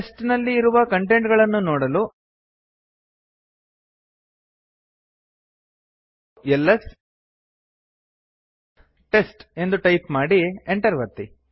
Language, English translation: Kannada, To see the contents inside test type ls test and press enter